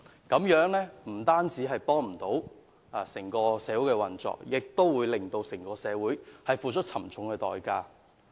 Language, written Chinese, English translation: Cantonese, 這樣不單不利於社會運作，社會亦須付出沉重代價。, This will not be conducive to the operation of society and society has to pay a high price